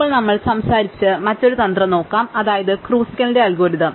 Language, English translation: Malayalam, Now, let us look at the other strategy we talked about namely Kruskal's algorithm